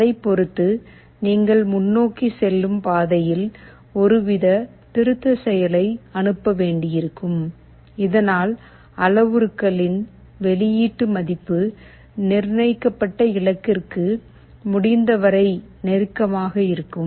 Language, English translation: Tamil, Depending on that you will have to send some kind of a corrective action along the forward path so that the output value of the parameter is as close as possible to the set goal